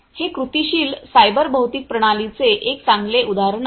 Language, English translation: Marathi, So, this is a this is a good example of how cyber physical systems work